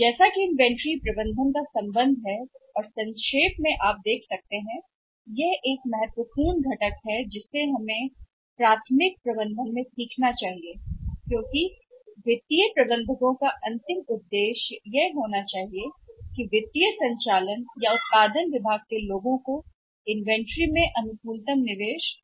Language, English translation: Hindi, ah ah as for as inventory management is concerned and in nutshell you can see in the nutshell you can say that the important component which we should learn or the important part in elementary management which we should learn is that ultimate objective of financial manager maybe the financial or the operations are the production department people should be to have option on investment in the inventory right